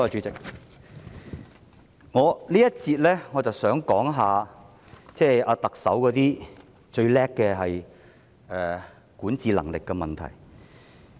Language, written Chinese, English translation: Cantonese, 在這環節，我想說一說特首自以為是的管治能力問題。, In this session I would like to talk about the governance of the self - opinionated Chief Executive